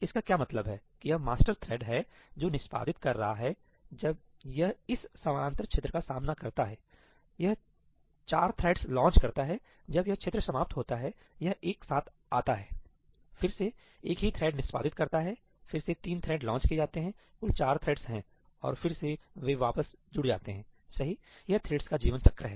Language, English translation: Hindi, What does that mean is this master thread that is executing, when it encounters this parallel region, it launches four threads; when this region ends, it comes together, again a single thread executes, again three threads are launched, there are total four threads and again they join back, right this is the life cycle of the threads